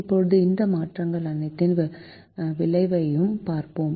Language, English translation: Tamil, now let us see the effect of all these changes